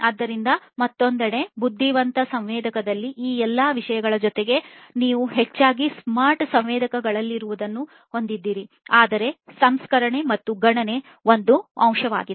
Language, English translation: Kannada, So, in addition to all of these things in the intelligent sensor on the other hand, you have mostly whatever is present in the smart sensors, but also a component for processing and computation